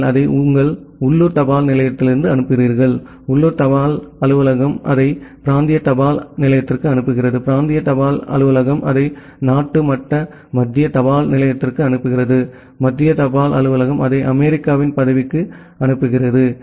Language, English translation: Tamil, So, you forward it to your local post office; the local post office forward it to the regional post office, the regional post office forward it to the country level central post office; the central post office then forward it to that say the USA post